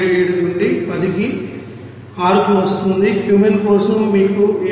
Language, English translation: Telugu, 77 into 10 to the power 6, for Cumene it is come in you know 7